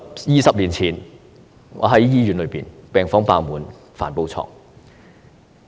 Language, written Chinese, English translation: Cantonese, 二十年前，我在醫院工作，病房爆滿，需加開帆布床。, When I was working in a hospital 20 years ago the wards were very full and extra canvas beds had to be provided